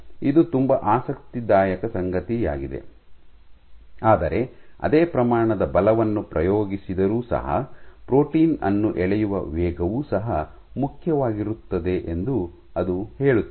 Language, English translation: Kannada, This is something very interesting, but it also says that even if the same magnitude of force is exerted the rate at which a protein is pulled also matters